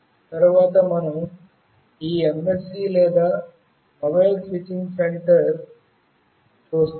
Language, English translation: Telugu, Next we see this MSC or Mobile Switching Center